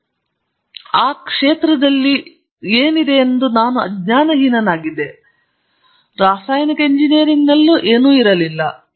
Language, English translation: Kannada, And I was quite ignorant what is already in the field at that that time; in chemical engineering there was nothing